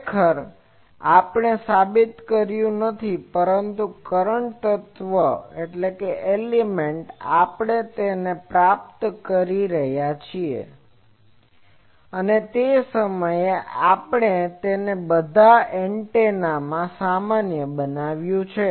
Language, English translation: Gujarati, Actually, this we have not proved; but in current element, we have derived it and that time, we have generalized it for all antennas